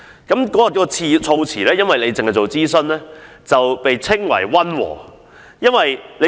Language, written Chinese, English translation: Cantonese, 該項議案的措辭只是要求政府進行諮詢，因而被稱為溫和。, The motion as it was worded merely requested the Government to conduct consultation so it was regarded as very moderate